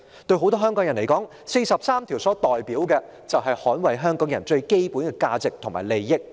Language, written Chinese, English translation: Cantonese, 對很多香港人而言，《基本法》第四十三條所代表的，便是特首應捍衞香港人最基本的價值和利益。, To many people of Hong Kong Article 43 of the Basic Law means that the Chief Executive should defend the fundamental values and interests of the people of Hong Kong